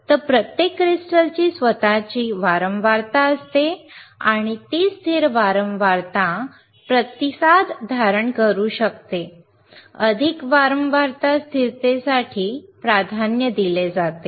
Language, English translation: Marathi, So, every crystal has itshis own frequency and it can hold or it can have a stable frequency response, preferred for greater frequency stability